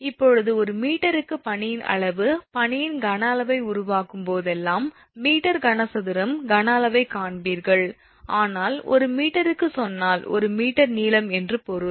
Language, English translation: Tamil, Now volume of the ice per meter, whenever we will make volume of the ice you will see meter cube is the volume, but when we say per meter means 1 meter length